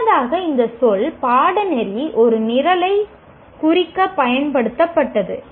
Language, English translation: Tamil, Earlier this word, course was used to represent a program